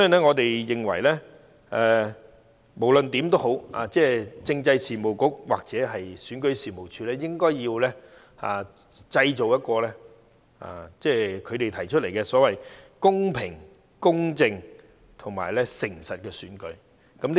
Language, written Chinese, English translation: Cantonese, 我們認為，政制及內地事務局或選舉事務處應該要造就一場其所提出的"公平、公正及誠實的選舉"。, In our opinion the Constitutional and Mainland Affairs Bureau or the Registration and Electoral Office should make it possible to hold a fair just and honest election